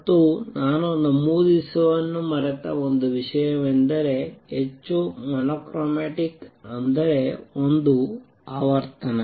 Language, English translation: Kannada, And also one thing I have forgot to mention is highly mono chromatic that means, one frequency